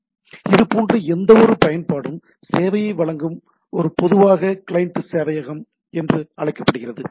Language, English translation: Tamil, So, that is anything any such applications, which is giving service has to be this is typically known as the client server